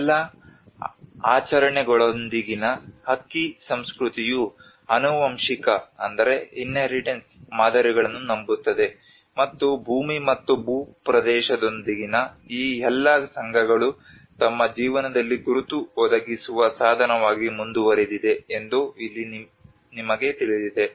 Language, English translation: Kannada, And here it becomes you know the rice culture with all the rituals believes the inheritance patterns and all these associations with the land and territory continue to be part of their identity providing means in their lives